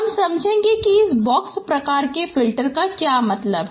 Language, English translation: Hindi, You can see in this picture how the box filters they look like